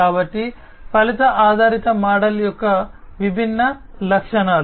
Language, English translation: Telugu, So, these are different advantages of the outcome based model